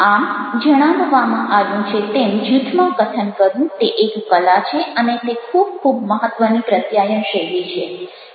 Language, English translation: Gujarati, so speaking in a group is an art, as it is mentioned, and it is very, very important: style of communication